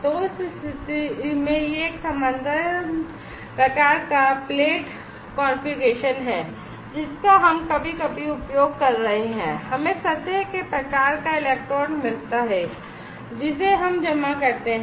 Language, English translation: Hindi, So, in that case it is a parallel kind of plate configuration we are using sometimes we get surface type of electrode we deposit